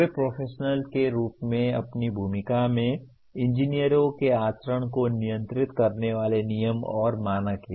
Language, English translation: Hindi, They are rules and standards governing the conduct of engineers in their role as professionals